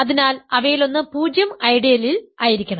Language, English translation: Malayalam, So, one of them must be in the zero ideal